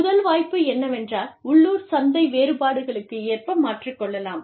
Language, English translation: Tamil, The first opportunity is, adapting to local market differences